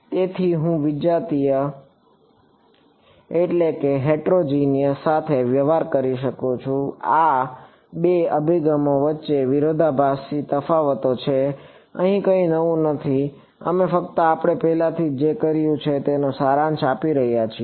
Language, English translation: Gujarati, So, I could deal with heterogeneous these are the sort of the two contrasting differences between these two approaches; nothing new here we just summarizing what we have already done